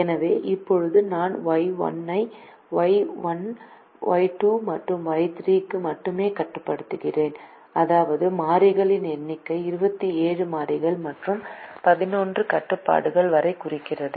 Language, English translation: Tamil, so now i restrict y only to y one, y two and y three, which means the number of variables comes down to twenty seven variables and eleven constraints